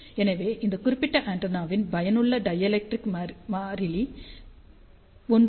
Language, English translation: Tamil, So, effective dielectric constant of this particular antenna is around 1